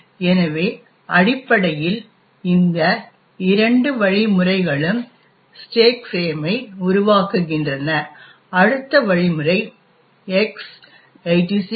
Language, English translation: Tamil, So, essentially these two instructions create the stack frame, the next instruction is a call to this function call X86